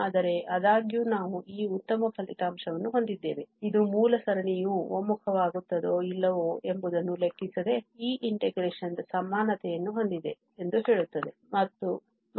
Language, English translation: Kannada, But however, we have this nice result which says that the equality of this integration holds, irrespective of the original series converges or not